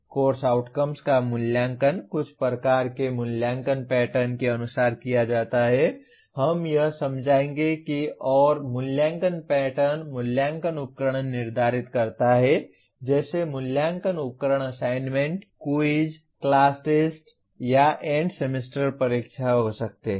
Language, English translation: Hindi, Course outcomes are assessed as per some kind of assessment pattern, we will explain that and assessment pattern determines the assessment instruments like assessment instruments could be assignments, quizzes, class tests or end semester exams